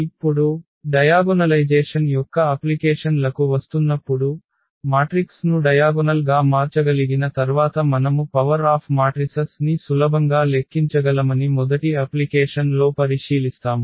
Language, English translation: Telugu, Now, coming to the applications of the diagonalization, the first application we will consider that we can easily compute the power of the matrices once we can diagonalize the matrix